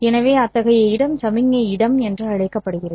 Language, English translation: Tamil, So, such space is called as the signal space